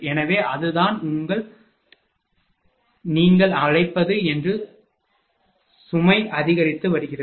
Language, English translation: Tamil, So, that is what your, what you call that load is increasing